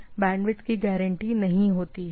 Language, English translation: Hindi, So, it is not guaranteed bandwidth